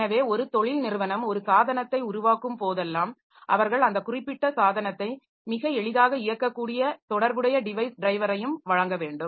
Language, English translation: Tamil, So, whenever a, if making a organization is making a device, they must provide the corresponding device driver by which that particular device can be operated very easily